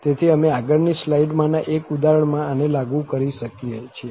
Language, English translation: Gujarati, So, we can apply this in one of the examples in the next slide